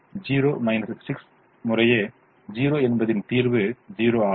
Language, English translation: Tamil, zero minus six times zero is zero